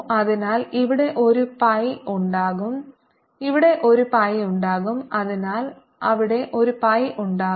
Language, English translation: Malayalam, so there will an a pi here, there will be a pi here